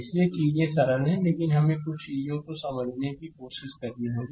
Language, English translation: Hindi, So, things are simple, but we have to try to understand certain things right